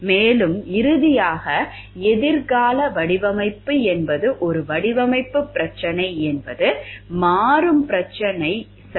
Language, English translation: Tamil, And it is finally that future design is a design problems are dynamic problems ok